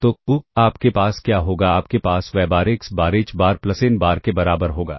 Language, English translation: Hindi, So, what you will have [vocalized noise] is you will have y bar equals X [noise] X times h bar plus n bar ok